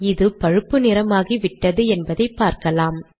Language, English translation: Tamil, You can see that it has become brown